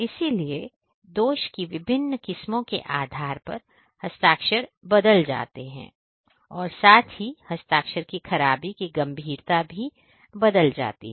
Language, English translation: Hindi, So, depending on the that you know the different varieties of the defect the signature gets changed and also the severity of the defect the signature gets changed